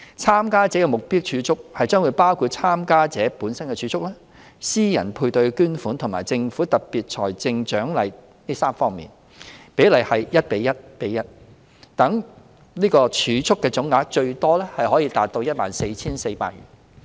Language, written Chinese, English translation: Cantonese, 參加者的目標儲蓄將包括參加者本身的儲蓄、私人配對捐款和政府的特別財政獎勵這3方面，比例為 1：1：1， 讓儲蓄的總額最多可達 14,400 元。, The targeted savings which can be up to a maximum of 14,400 have 1col11 tripartite contributions from the participant himselfherself private sector matching fund and Governments special financial incentive